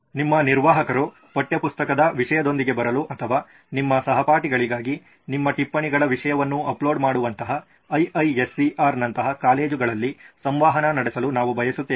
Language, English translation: Kannada, We would also like to interact with a system like this colleges like IISER where your administrator can come up with a content, textbook content or you can upload your notes content for your classmates, something like that